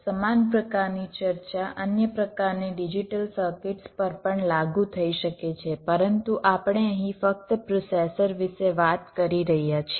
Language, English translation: Gujarati, well, similar kind of discussion can apply to other kind of digital circuits also, but we are simply talking about ah processor here